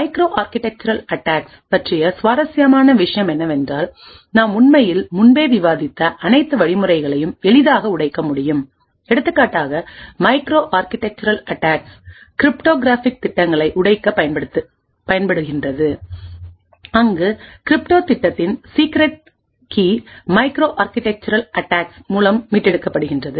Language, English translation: Tamil, In this particular lecture we will be looking at a new form of attack known as micro architectural attacks now the interesting thing about micro architectural Attacks is that they can break all of these things that we have actually talked about so for example micro architectural attacks have been used to break cryptographic schemes where in the secret key of the crypto scheme has been retrieved by means of a micro architectural attack